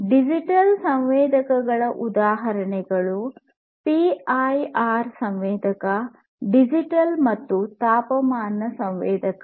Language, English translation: Kannada, So, examples of digital sensors would be PIR sensor, digital temperature sensor and so on